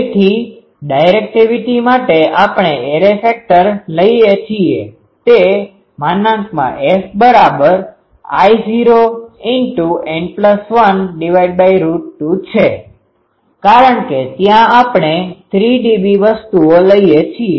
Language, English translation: Gujarati, So, for directivity we take the array factor will be root 2 n plus 1 because there we take 3 dB things